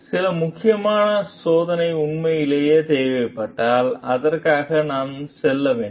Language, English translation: Tamil, If some critical testing is truly required, then we should go for it